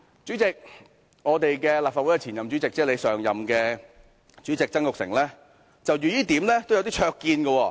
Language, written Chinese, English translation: Cantonese, 主席，立法會前任主席曾鈺成就這點也有些灼見。, Chairman former President of the Legislative Council Jasper TSANG has some remarkable views on this point